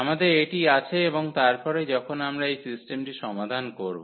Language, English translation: Bengali, So, we have this and then when we solve this system